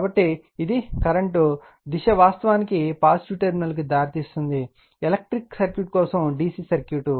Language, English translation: Telugu, So, as it is direction current actually leads the positive terminal for your your what you call for electric circuit say DC circuit right